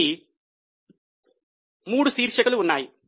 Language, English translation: Telugu, So, there are three headings